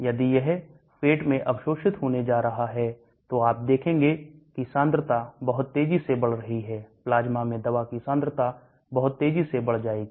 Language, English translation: Hindi, If it is going to be absorbed in the stomach, you will see the concentration rise very fast, quickly the concentration of the drug will rise in the plasma